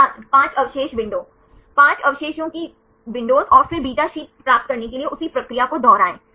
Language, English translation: Hindi, 5 residue window Five residue windows and then repeat the same procedure right to get the beta sheet